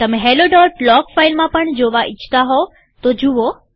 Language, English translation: Gujarati, You may also want to browse through the hello.log file